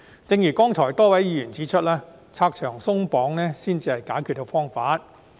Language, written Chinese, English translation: Cantonese, 正如剛才多位議員指出，拆牆鬆綁才是解決方法。, As a few Members have pointed out just now removing red tape is the solution